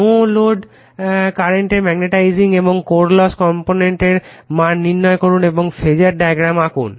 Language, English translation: Bengali, Determine the value of the magnetizing and core loss component of the no load current and draw the phasor diagram